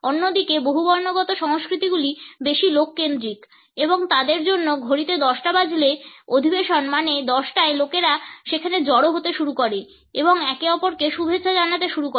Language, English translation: Bengali, On the other hand polychronic cultures are more people centered and for them a 10 o clock meeting means at 10 o clock people going to start assembling there and start greeting each other